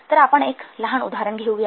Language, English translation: Marathi, Let's take a small example